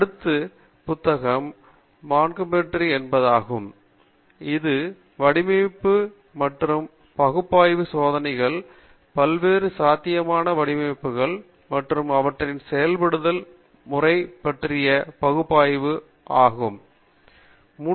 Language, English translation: Tamil, The next book is by Montgomery, which deals with the Design and Analysis of Experiments, the various possible designs, and their method of implementation, and analysis